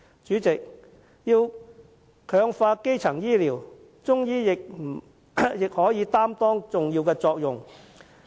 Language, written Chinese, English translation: Cantonese, 主席，要強化基層醫療，中醫藥也可擔當重要角色。, President Chinese medicine has a vital role to play in strengthening primary health care